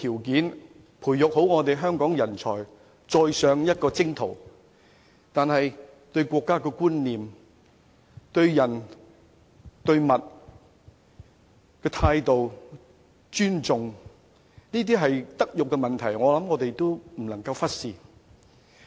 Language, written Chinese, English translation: Cantonese, 如何培育年輕一代對國家的觀念，對人、對事的正確態度和尊重，這些都是德育問題，我們不能忽視。, As regards how to cultivate in the younger generation a sense of national identity have the right attitude and respect to their fellow people and various affairs it is a matter of moral education which we cannot afford to overlook